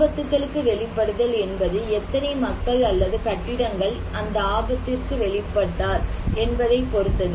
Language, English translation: Tamil, So, exposed to hazards; it depends on how many people and the buildings are exposed to a hazard